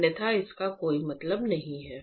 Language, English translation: Hindi, Otherwise it does not make any sense